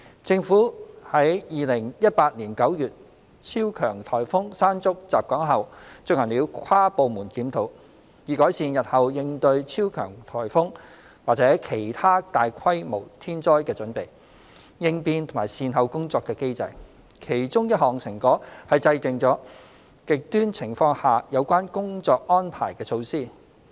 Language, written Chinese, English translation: Cantonese, 政府於2018年9月超強颱風"山竹"襲港後進行了跨部門檢討，以改善日後應對超強颱風或其他大規模天災的準備、應變和善後工作的機制；其中一項成果是制訂了"極端情況"下有關工作安排的措施。, Following the experience with Super Typhoon Mangkhut in September 2018 the Government conducted an inter - departmental review of the handling mechanism to improve Hong Kongs preparedness emergency response and recovery efforts for future super typhoons or other natural disasters of a substantial scaleOne of the outcomes is that measures have been formulated on the work arrangements under extreme conditions